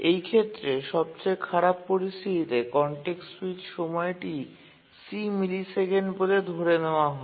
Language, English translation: Bengali, That's the worst case context switch time is let's say C millisecond